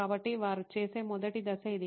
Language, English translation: Telugu, So, this is the first step that they do